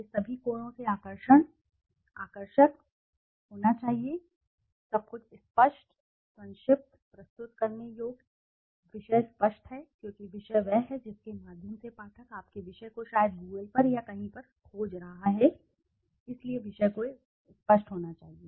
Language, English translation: Hindi, It should be attractive, so attractive from all angles, everything is clear, concise, presentable, topic is clear because the topic is the one through which the reader is searching your topic maybe on Google or somewhere so the topic has to be very clear